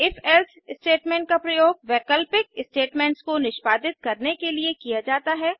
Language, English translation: Hindi, If...Else statement is used to execute alternative statements